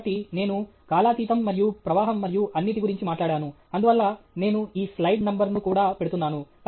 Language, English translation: Telugu, So, I just talked about timelessness, and flow, and all that; therefore, I am putting this slide number also